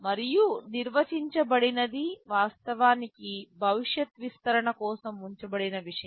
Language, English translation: Telugu, And undefined is actually something which is kept for future expansion